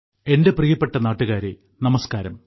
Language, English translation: Malayalam, Hello my dear countrymen Namaskar